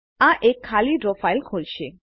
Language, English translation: Gujarati, This will open an empty Draw file